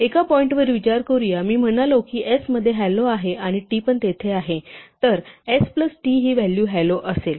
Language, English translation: Marathi, Just to emphasize one point; supposing I said s was hello and t was there, then s plus t would be the value hello there